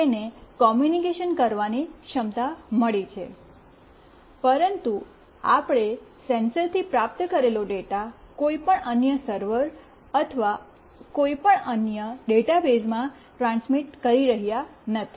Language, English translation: Gujarati, It has got a communication capability, but we were not transmitting the data that we received from the sensor to any other server or any other database